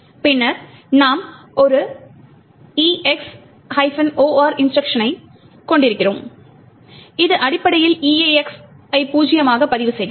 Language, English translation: Tamil, Then we are having an EX OR instruction which essentially makes the EAX register zero